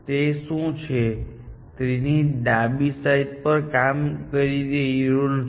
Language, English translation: Gujarati, What is it that is not working in the left side of the tree